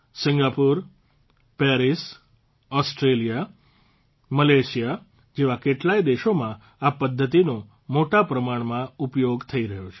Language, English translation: Gujarati, It is being used extensively in many countries like Singapore, Paris, Australia, Malaysia